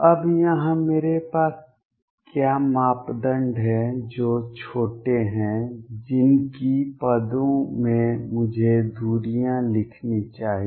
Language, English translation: Hindi, Now, here what do I have the parameters that are small in the whose terms I should write the distances